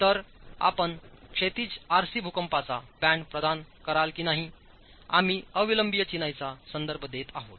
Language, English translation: Marathi, So whether whether you provide the horizontal RC seismic band or not we are referring to unreinforced masonry